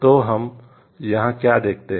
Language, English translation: Hindi, So, what we see over here